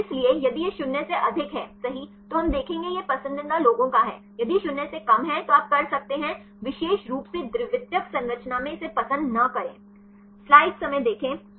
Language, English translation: Hindi, So, if it is more than 0 right then we will get see is of preferred ones, if less than 0 right you can see this not preferred in particular secondary structure